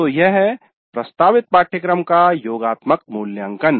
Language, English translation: Hindi, So this is the summative evaluation of the course offered